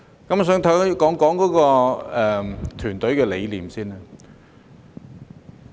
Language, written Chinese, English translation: Cantonese, 我想首先談談團隊的理念。, I would like to start with the philosophy of a team